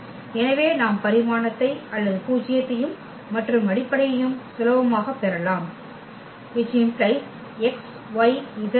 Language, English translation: Tamil, So, we can just get the dimension or the nullity and also the basis simply